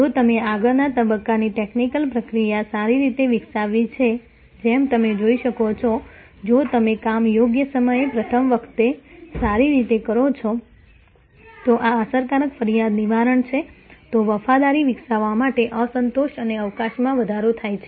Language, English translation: Gujarati, If you have developed the back stage technical process well, as you can see therefore, if you do the job right time, right the first time and then, there is this effective complaint handling, then there is a increase satisfaction and scope for developing loyalty